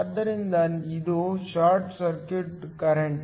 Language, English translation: Kannada, So, this is the short circuit current